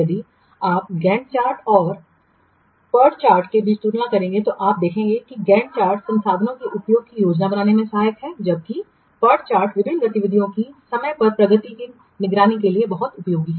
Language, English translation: Hindi, If we will compare between GAN chart and PURCHAD you can see that GANCHAT is helpful in planning the utilization of the resource while PORCHAT is very much useful in monitoring the what timely progress of the different activities